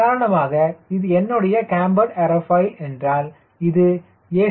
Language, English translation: Tamil, let us say this is my camber aerofoil and you know this is ac